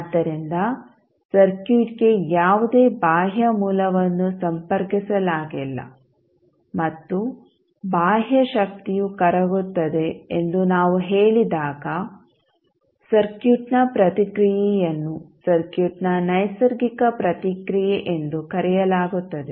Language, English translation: Kannada, So, when we say that there is no external source connected to the circuit, and the eternal energy is dissipated the response of the circuit is called natural response of the circuit